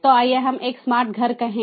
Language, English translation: Hindi, so this is an example of smart home